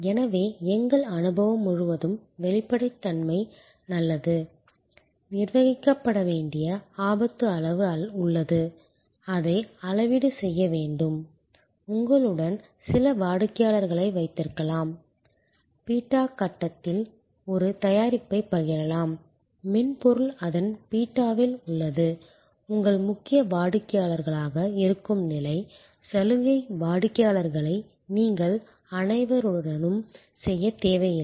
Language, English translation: Tamil, So, and the whole our experience shows that transparency is good, there is a amount of risk that needs to be managed, need to calibrate it, you can have some customers with you can share a product at its beta stage, software at its beta stage that are your core customers, privilege customers you do not need to do it with everybody